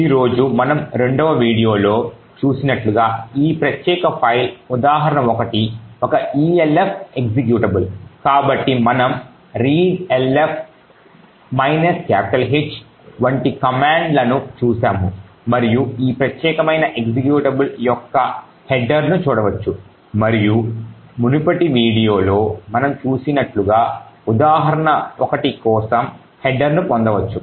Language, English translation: Telugu, Now as we seen in the second video today this particular file the example 1 is an elf executable, so we have seen commands such as readelf minus H and we can look at the header of this particular executable and as we have seen in the previous video we would obtain the header for example 1